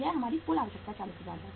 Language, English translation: Hindi, This is our total requirement 40000